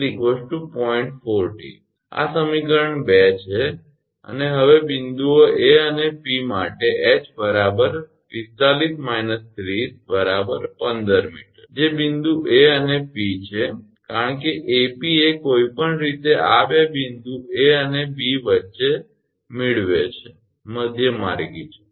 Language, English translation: Gujarati, 4 this is equation – 2 and the now for points A and P, h is equal to 45 minus 30 that is 15 meter that is point A and P because A P is the anyway midway between this two point A and B